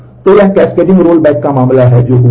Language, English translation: Hindi, So, this is a case of cascaded cascading roll back that has happened